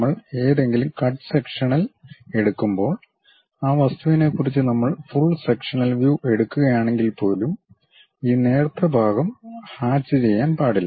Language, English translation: Malayalam, And when we are taking any cut sectional representation; even if we are taking full sectional view of that object, this thin portion should not be hatched